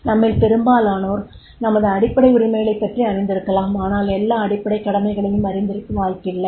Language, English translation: Tamil, Most of us may be aware about our fundamental rights but may not be the fundamental, all fundamental duties, right